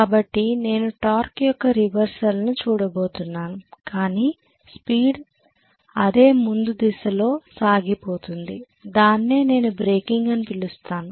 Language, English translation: Telugu, So I am going to have a reversal of torque with the speed still remaining in the forward direction so I would call it as breaking